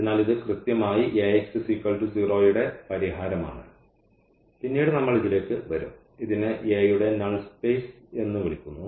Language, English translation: Malayalam, So, that is exactly the solution of Ax is equal to 0 and this later on we will come to this, this is called the null space of a